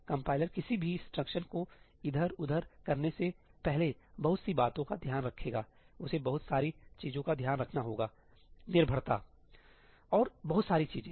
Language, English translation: Hindi, The compiler will take care of lot of things before moving any instruction around, it has to take care of a lot of things dependencies, and a whole lot of stuff